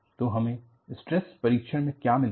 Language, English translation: Hindi, So, what have we got from the tension test